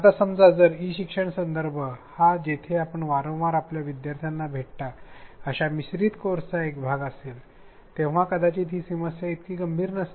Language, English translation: Marathi, Now, if the e learning context suppose it is a part of a blended course where you frequently meet your learners maybe this problem is not so daunting